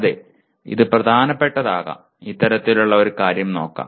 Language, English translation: Malayalam, Yes, it could be important, let me look at it kind of thing